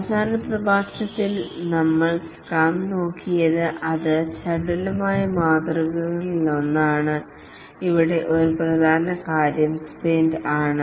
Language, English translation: Malayalam, In the last lecture we looked at scrum which is one of the agile models and one important thing here is the sprint